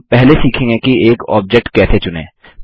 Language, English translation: Hindi, We will first learn how to select an object